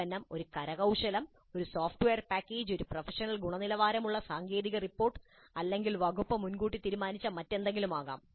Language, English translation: Malayalam, The product can be an artifact, a software package, a professional quality technical report, or anything else as decided upfront by the department